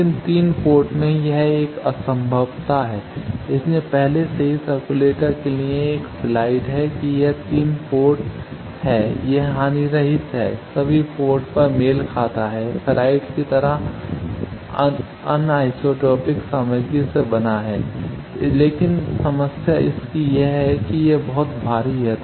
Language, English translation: Hindi, But in 3 port this is one impossibility that is why already a slide for circulator that it is a 3 port, it is lossless, matched at all ports, made of anisotropic material like ferrite, but the problem is its very bulky